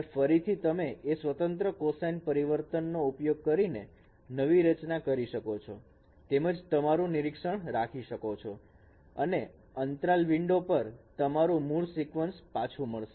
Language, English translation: Gujarati, And again you can reconstruct back using that discrete cosine transform and keep your observation window only within this interval so you get the original sequence back